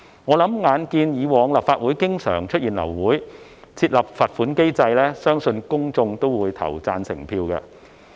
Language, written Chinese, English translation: Cantonese, 眼見立法會過往經常流會，相信公眾會對設立罰款機制投贊成票。, In view of the frequent abortions of Council meeting in the past I believe the public will approve the financial penalty mechanism